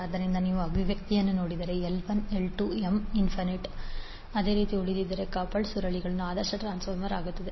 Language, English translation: Kannada, So if you see the expression, if L 1, L 2 or M tends to infinity in such a manner that n remains the same, the coupled coils will become the ideal transformer